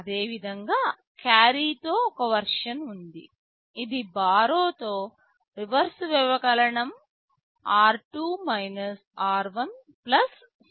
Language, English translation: Telugu, Similarly, there is a version with borrow, reverse subtract with carry; it is r2 r1 + C 1